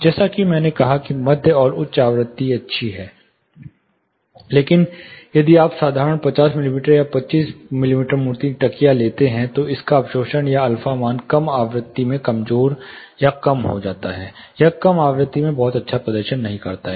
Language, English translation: Hindi, (Refer Slide Time: 11:24) As I said mid and high frequency is good, but if you take simple 50 mm or 25 mm thick cushion, you know it is absorption or alpha value absorption coefficient, is rather week or low in low frequency, it is not very well performing in the low frequency